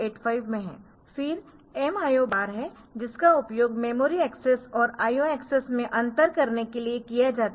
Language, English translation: Hindi, So, this is used to differentiate in memory access and IO access